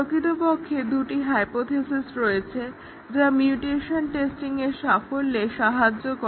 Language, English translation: Bengali, There are actually two hypothesis which leads to the success of the mutation testing